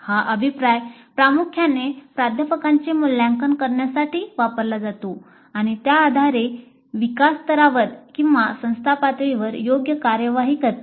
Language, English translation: Marathi, This feedback is primarily used to evaluate the faculty and based on that take appropriate actions at the department level or at the institute level